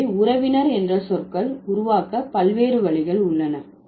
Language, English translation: Tamil, So, there are different ways by which the kinship terms are created